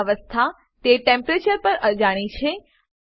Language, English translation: Gujarati, Their state is unknown at that Temperature